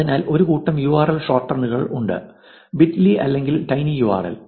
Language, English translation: Malayalam, So, there is a set of URL shorteners called bitly, tinyurl